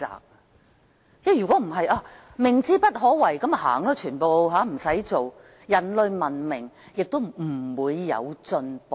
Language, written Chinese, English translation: Cantonese, 否則，如果因為明知不可為，所有人便離開，不用做事，人類文明亦不會有進步。, If we are scared off by the sense of impossibility and do nothing at all human civilization can no longer make progress